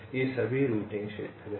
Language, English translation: Hindi, ok, these are all routing regions